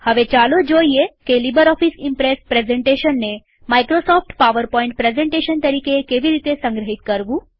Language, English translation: Gujarati, Next,lets learn how to save a LibreOffice Impress presentation as a Microsoft PowerPoint presentation